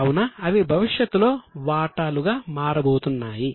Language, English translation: Telugu, They are also going to be shares in future